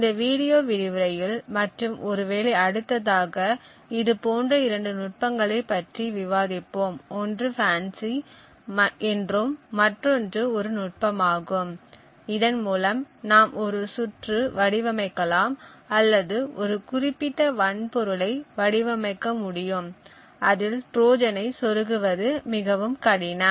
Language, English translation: Tamil, In this video lecture and perhaps the next as well we would discuss two such techniques, one is known as FANCI and the other one is a technique by which we could design a circuit or rather design a particular hardware unit where inserting a Trojan would be considerably more difficult